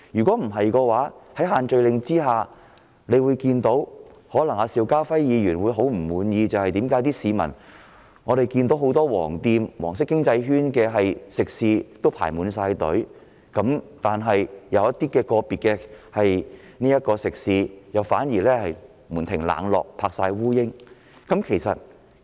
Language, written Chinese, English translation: Cantonese, 否則，在限聚令下，我們看到的是一種可能令邵家輝議員極感不滿的現象，就是很多屬黃色經濟圈的食肆出現輪候人龍，但某些個別食肆卻門庭冷落沒有生意。, Otherwise the imposition of such restrictions will lead to the following phenomenon which may make Mr SHIU Ka - fai extremely angry while long queues are seen outside many catering outlets of the yellow economic circle some eateries are deserted and have no business at all